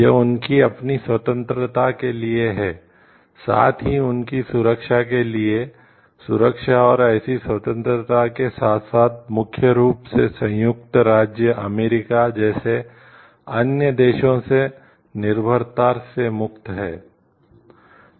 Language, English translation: Hindi, This is for the sake of their own freedom, as well as security and freedom from like the this is for their security as well as freedom from dependence from other countries like USA mainly